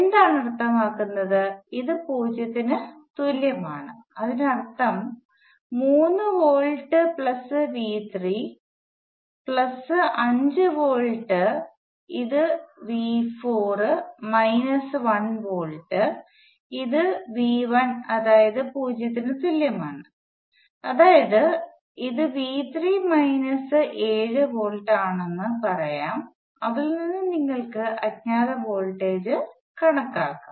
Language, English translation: Malayalam, What does it mean this is equal to 0 so that means, that 3 volts plus V 3 plus 5 volts which is V 4 minus 1 volt which is V 1 equal to 0, and this tells you that V 3 is minus 7 volts